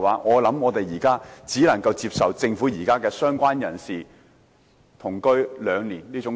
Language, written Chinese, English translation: Cantonese, 我想我們現在只能接受政府提出"相關人士"的定義是同居最少兩年的建議。, I think now we can only accept the Governments proposal that the definition of related person is cohabitation of at least two years